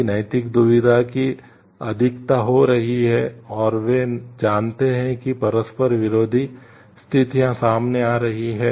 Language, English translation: Hindi, If there are more of moral dilemma happening and they knew the countries are happening conflicting situations coming up